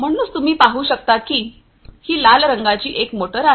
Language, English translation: Marathi, So, as you can see this red colored one is a motor